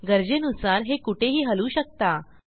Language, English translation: Marathi, You can move it wherever required